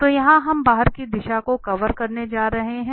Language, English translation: Hindi, So here we are going to cover the outward, in the outward direction